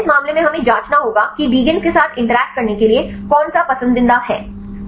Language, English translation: Hindi, In this case we have to check which one is the preferred ones for the ligand to interact